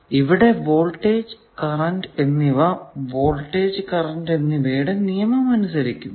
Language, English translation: Malayalam, So, voltage and currents obey the form of voltage law and current law